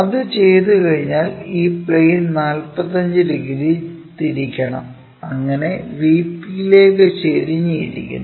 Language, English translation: Malayalam, Once that is done, this plane has to be rotated by 45 degrees and thus, inclined to the vp